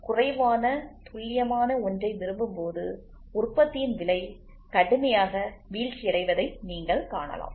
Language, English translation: Tamil, When you want something little less accurate, so then you can see the cost of the production falls down drastically